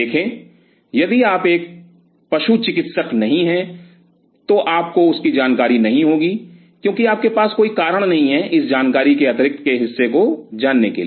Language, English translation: Hindi, See if you are not in veterinarian will not be aware of it because there is no reason for you to know this additional piece of information